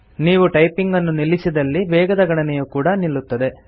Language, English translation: Kannada, If you stop typing, the speed count decreases